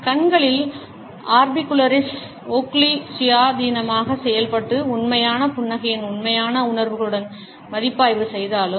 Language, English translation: Tamil, Though orbicularis oculi at the eyes act independently and review with true feelings of a genuine smile